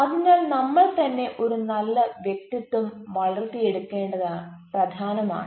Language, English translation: Malayalam, so it is always important to develop a good self within oneself